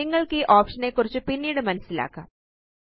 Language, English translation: Malayalam, You can explore this option on your own later